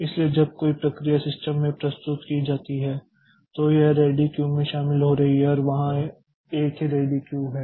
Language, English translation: Hindi, So, when a process is submitted to the system so it is joining into the ready queue and there is a single ready queue